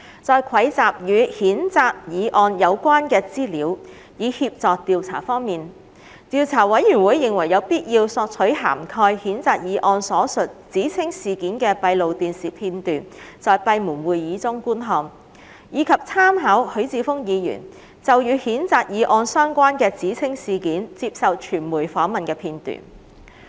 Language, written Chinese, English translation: Cantonese, 在蒐集與譴責議案有關的資料以協助調查方面，調查委員會認為有必要索取涵蓋譴責議案所述指稱事件的閉路電視片段，在閉門會議中觀看，以及參考許智峯議員就與譴責議案有關的指稱事件接受傳媒訪問的片段。, In the collection of information in relation to the censure motion for the purpose of investigation the Investigation Committee considered it necessary to request for the closed - circuit television footage covering the alleged incident stated in the censure motion for viewing at the closed meetings and also making reference to the video footage of Mr HUI Chi - fungs media interviews on the alleged incident related to the censure motion